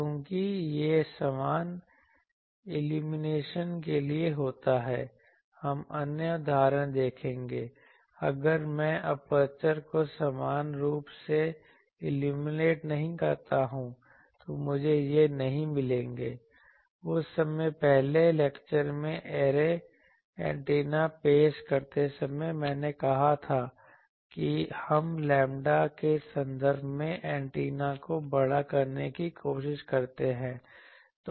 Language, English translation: Hindi, Because this happens for uniform illumination we will see other examples, if I not illuminate the aperture uniformly, I will not get these; that time while introducing array antennas in the first lecture I said that we try to make the antenna should be large in terms of lambda